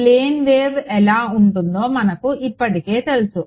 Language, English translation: Telugu, We already know what a plane wave looks like right